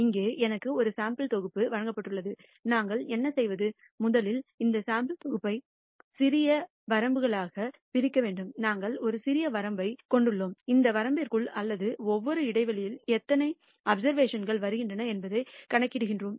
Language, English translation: Tamil, Here I am given a sample set and what we do is rst divide this sample set into small ranges; we de ne a small range and count how many observations fall within that range or within each interval